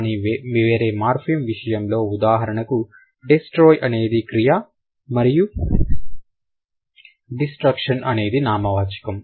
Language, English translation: Telugu, But in case of the other morphemes like destroy and destruction, so destroy is a verb and destruction would be a noun